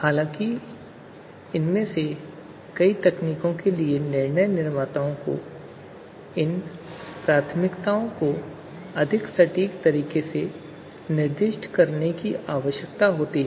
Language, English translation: Hindi, However, many of these techniques require decision makers to specify these preferences in in more exact fashion